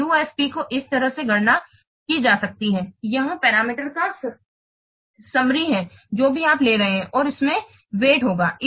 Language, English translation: Hindi, So the UFP can be computed like this, that summation of this parameter whatever you are taking and into it will be the weight